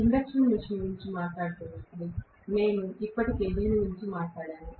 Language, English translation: Telugu, We already talked about this, when we were talking about the induction machine